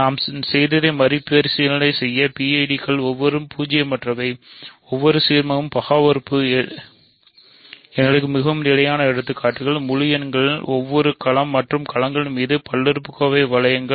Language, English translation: Tamil, So, just to recap what we have done PIDs are rings where every non zero, every ideal is principal, the most standard examples for us are integers, polynomial rings over any field and fields